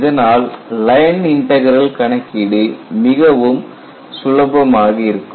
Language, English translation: Tamil, So, that way, your computation of the line integral would be a lot more simpler